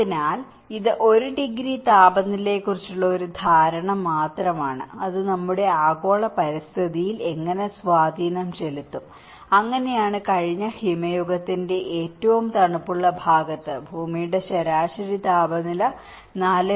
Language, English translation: Malayalam, So, this is just an understanding of 1 degree temperature and how it will have an impact on our global environment, so that is what in the coldest part of the last ice age, earth's average temperature was 4